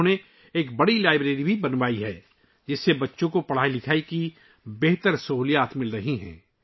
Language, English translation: Urdu, He has also built a big library, through which children are getting better facilities for education